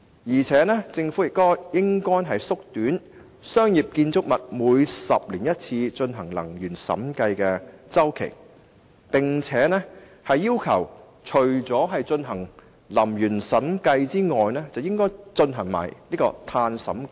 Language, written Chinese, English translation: Cantonese, 而且，政府亦應縮短商業建築物每10年進行一次的能源審計周期，並要求除進行能源審計外，更應規定進行碳審計。, Besides the Government should also shorten the energy audit cycle of once every 10 years for commercial buildings and even require the conduct of carbon audits along with energy audits